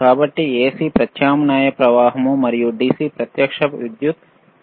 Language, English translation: Telugu, So, AC is alternating current and DC is direct current